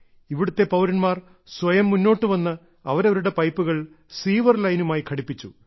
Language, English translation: Malayalam, The citizens here themselves have come forward and connected their drains with the sewer line